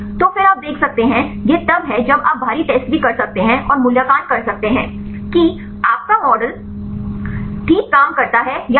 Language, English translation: Hindi, So, then you can see this is the then also you can do with the external test and evaluate whether your model works fine or not